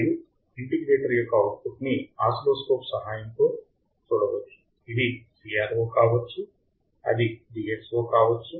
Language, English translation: Telugu, And the output of the integrator can be seen with the help of oscilloscope it can be CRO it can be DSO